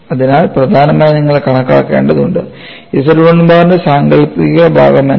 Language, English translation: Malayalam, So, essentially you will have to calculate, what is the imaginary part of Z 1 bar